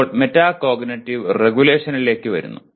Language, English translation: Malayalam, Now coming to metacognitive regulation